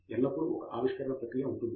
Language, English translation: Telugu, It is also discovery process